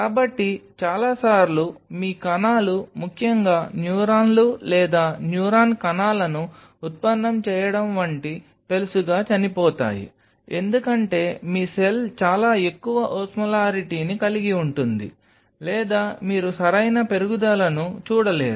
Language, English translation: Telugu, So, many a times your cells die especially fragile sense like neurons or neuron derivatize cells, because your cell has a very high osmolarity or you do not see the proper growth